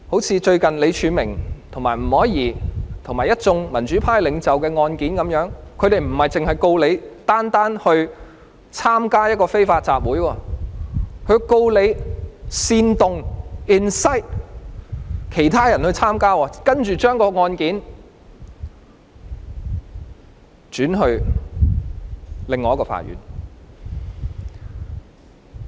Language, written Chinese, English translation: Cantonese, 正如最近李柱銘和吳靄儀及一眾民主派領袖的案件一樣，不單是控告他們參與一個非法集會，還控告他們煽動其他人參與，之後將案件轉交另一所法院。, As in the recent cases of Martin LEE Margaret NG and many pro - democracy leaders they are not only charged with the offence of participating in an unlawful assembly but are also charged with the offence of inciting others to participate in the unlawful assembly and their cases are later referred to another court